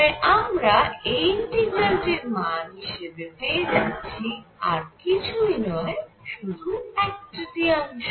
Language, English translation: Bengali, So, I get and this integral this integral is nothing, but one third